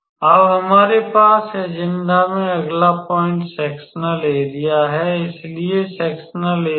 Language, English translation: Hindi, So, next point we have in agenda is sectorial area; so, sectorial area